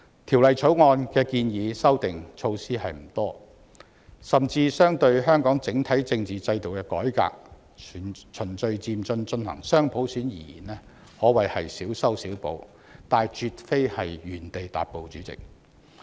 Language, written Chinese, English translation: Cantonese, 《條例草案》建議的修訂措施不多，甚至相對於香港整體政治制度的改革，即循序漸進進行雙普選而言，可謂小修小補，但絕非原地踏步。, Not many amendments are proposed in the Bill and when compared with the reform of the overall political system of Hong Kong namely implementing dual universal suffrage in a gradual and orderly manner we can even say that the amendments are patchy fixes . Yet we are certainly not at a standstill